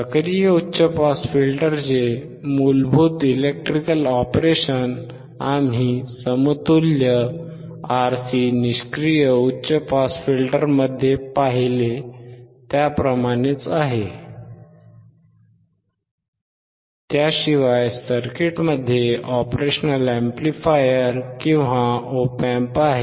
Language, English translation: Marathi, The basic electrical operation of an active high pass filter is exactly the same as we saw in the equivalent RC passive high pass filter, except that the circuit has a operational amplifier or op amp